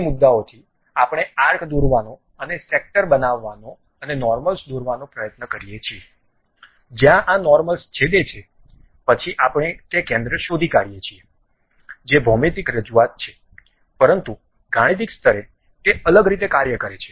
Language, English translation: Gujarati, From those points, we try to draw the arc and construct sectors and draw normals, where these normals are intersecting, then we locate the center that is geometric representation, but mathematical level it works in a different way